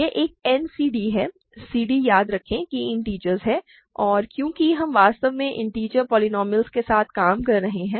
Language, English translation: Hindi, This is a n c d; c d remember are integers and because we are really dealing with integer polynomials